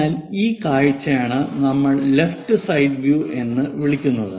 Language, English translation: Malayalam, So, that view what we are calling right side view